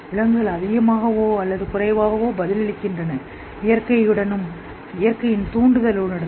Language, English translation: Tamil, Animals more or less respond in connection with the nature and the nature's stimuli